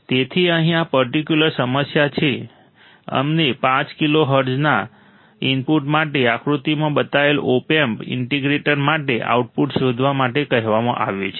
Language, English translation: Gujarati, So, here for this particular problem, what we are asked to find the output for the opamp integrator shown in figure for an input of 5 kilohertz